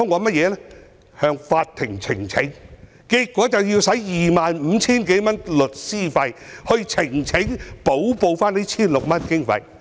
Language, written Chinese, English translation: Cantonese, 便是向法庭呈請，結果花了 25,000 多元律師費，補報這 1,600 多元的經費。, I had to lodge a petition with the court . Consequently I spent over 25,000 on legal fees just to report the sum of 1,600 - odd in expenses